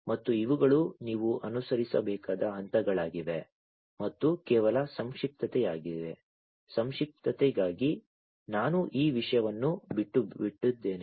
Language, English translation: Kannada, And these are the steps that you will have to follow and for just brevity, I am skipping this thing